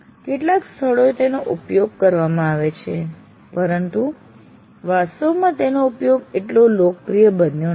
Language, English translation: Gujarati, While it is adopted in some places, its use hasn't really become that popular